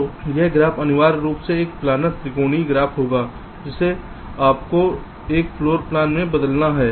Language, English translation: Hindi, so this graph will essentially be a planer triangular graph, which you have to translate into into a floor plan